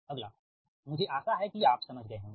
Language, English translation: Hindi, i hope you understood right